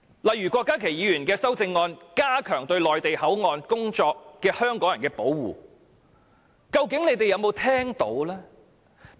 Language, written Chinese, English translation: Cantonese, 例如郭家麒議員的修正案，旨在加強對在內地口岸工作的香港人的保護，究竟政府有沒有聽到這點。, For example Dr KWOK Ka - kis amendment seeks to enhance the protection to people working in the Mainland Port Area but I wonder if the Government has taken heed to his opinion